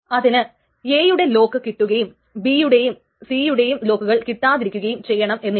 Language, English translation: Malayalam, So it cannot happen that it will get the lock on A but not on B and C